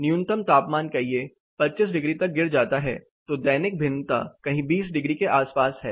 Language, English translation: Hindi, The minimum temperature drops to say 25 degrees, so the diurnal variation is somewhere around 20 degrees